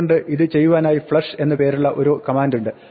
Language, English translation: Malayalam, So, there is a command flush which does this